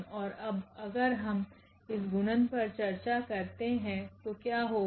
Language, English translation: Hindi, And now if we discuss this multiplication, so, what will happen